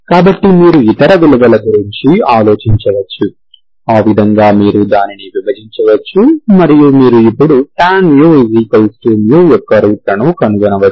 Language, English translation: Telugu, So you can think of other values, you can divide it and you can now find the roots of tan mu equal to mu